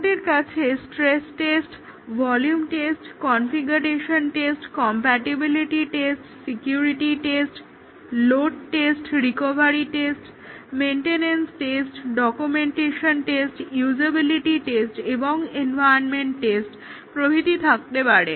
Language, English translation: Bengali, We can have stress tests, volume tests, configuration tests, compatibility tests, security tests, load test, recovery tests, maintenance tests, documentation tests, usability tests and environmental tests